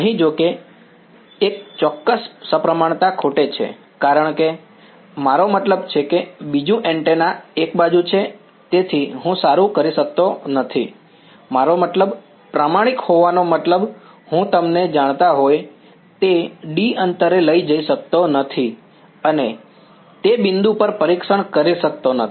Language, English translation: Gujarati, Here, however, there is a certain symmetry is missing over here, because I mean the second antenna is on one side, so I cannot in good I mean being honest, I cannot take some you know distance a apart and do testing on that point